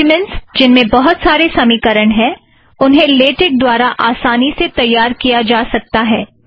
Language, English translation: Hindi, Documents with a lot of mathematical equations can also be generated easily in Latex